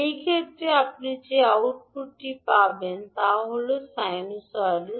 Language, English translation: Bengali, The output which you will get in this case is sinusoidal